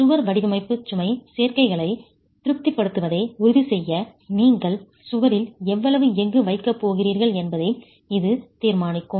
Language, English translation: Tamil, And that will determine how much steel you are going to put in in the wall itself to ensure the wall design satisfies the load combinations